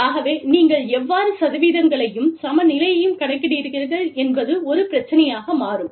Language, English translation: Tamil, So, there is, i mean, how do you calculate the percentages, and how do you calculate the parity, is what, becomes a problem